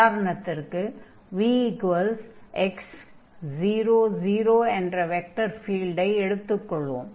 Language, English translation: Tamil, So, for instance, if we take the vector field here, v is equal to x and 0, 0